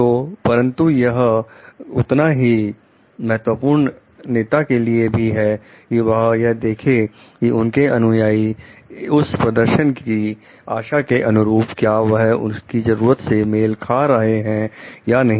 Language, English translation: Hindi, So, but it is equally important for the leader to see like to expect that performance from the followers like you whether the followers needs are met or not